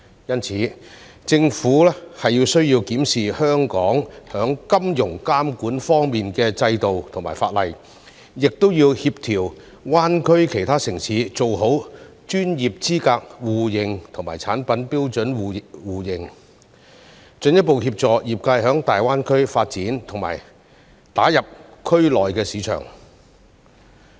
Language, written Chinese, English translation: Cantonese, 因此，政府需要檢視香港在金融監管方面的制度和法例，亦要協調大灣區其他城市做好專業資格互認及產品標準互認，進一步協助業界在大灣區發展並打入區內的市場。, Therefore it is necessary for the Government to review Hong Kongs financial regulatory system and legislation and coordinate with other cities in GBA for mutual recognition of professional qualifications and product standards so as to further assist the industry to develop in GBA and enter the markets in the region